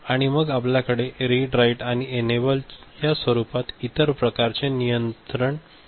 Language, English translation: Marathi, And then we have the other kind of you know control inputs in the form of read, write, enable